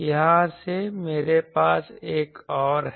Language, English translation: Hindi, From here I have another